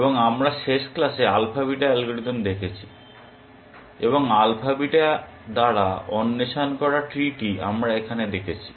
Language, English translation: Bengali, And we saw in a last class the alpha beta algorithm, and the tree that was explored by alpha beta we saw here